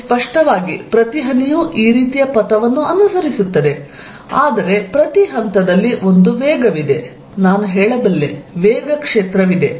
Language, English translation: Kannada, It obviously, each one follow the trajectory like this, but there at each point, there is a velocity, I can say, there is a velocity field